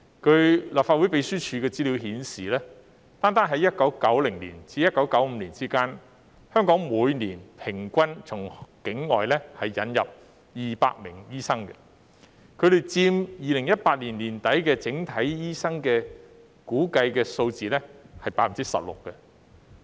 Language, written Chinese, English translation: Cantonese, 據立法會秘書處的資料顯示，單在1990年至1995年期間，香港每年平均從境外引入200名醫生，估計佔2018年年底整體醫生人數的 16%。, As shown by the information of the Legislative Council Secretariat during the period from 1990 to 1995 alone the average annual number of doctors admitted to Hong Kong from overseas was 200 estimated to account for 16 % of the overall number of doctors at the end of 2018